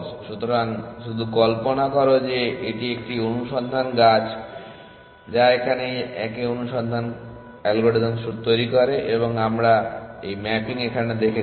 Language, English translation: Bengali, So, just imagine that this is a search tree that that search same search algorithm generates and we saw this mapping